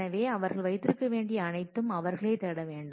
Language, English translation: Tamil, So, everything they will have to be will need to seek them